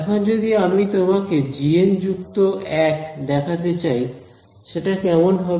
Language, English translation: Bengali, Now if I want to show you g n plus one what will it look like